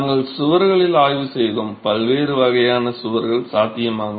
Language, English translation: Tamil, We examined walls, the different types of walls possible